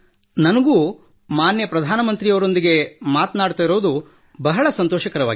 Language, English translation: Kannada, I too am feeling extremely happy while talking to respected Prime Minister